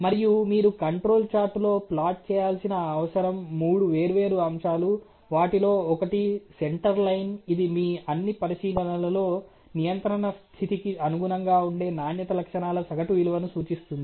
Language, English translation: Telugu, And what you know you have to plot on the control chart essentially are three different elements; one of them is a center line which represents the average value of the quality characteristics corresponding to the in control state out of all your observation which is there